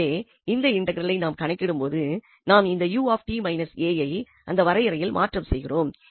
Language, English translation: Tamil, So, computing this integral now, if we substitute this u minus a there in this definition